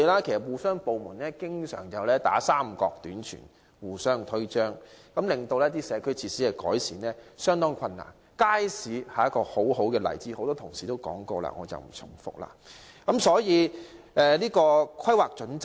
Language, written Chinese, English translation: Cantonese, 由於部門之間經常互相"三角短傳"、互相推諉，令改善社區設施的工作變得相當困難，街市是一個很好的例子，由於多位同事已發表意見，我不想重複。, As the departments are frequently shifting responsibilities onto one another it is very difficult to improve community facilities . A very good example is markets . As many Honourable colleagues have expressed their views I do not want to repeat them